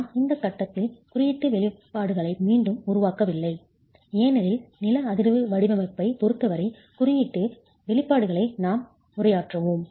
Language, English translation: Tamil, I have not reproduced the code expressions at this stage because we will be addressing the code expressions as far as seismic design is concerned, but the R is a factor that sits in the numerator